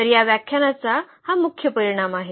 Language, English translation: Marathi, So, that is the main result of this lecture